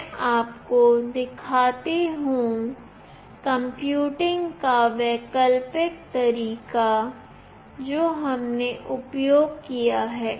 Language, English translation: Hindi, Let me show that the alternate way of computing that we have used